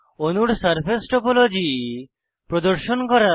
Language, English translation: Bengali, Display different surfaces of molecules